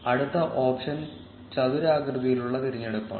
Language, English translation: Malayalam, The next option is the rectangular selection